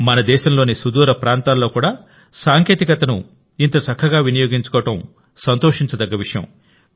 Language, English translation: Telugu, And it is a matter of joy that such a good use of technology is being made even in the farflung areas of our country